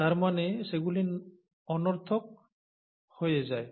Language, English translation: Bengali, I mean they become redundant